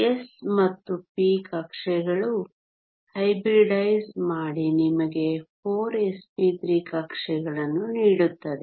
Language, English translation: Kannada, The s and p orbitals hybridize to give you 4 s p 3 orbitals